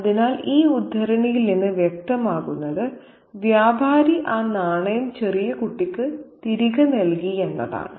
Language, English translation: Malayalam, So, what is clear from this excerpt is that the trader has returned the coin to the little child